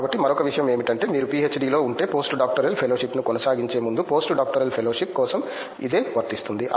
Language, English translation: Telugu, So, the other if you are in PhD the same thing applies for a post doctoral fellowship before you go pursue post doctoral fellowship